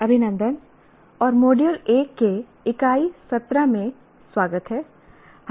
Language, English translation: Hindi, Greetings and welcome to Unit 17 of Module 1